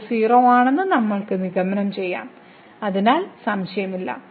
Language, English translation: Malayalam, So, we can conclude that this is 0, no doubt about it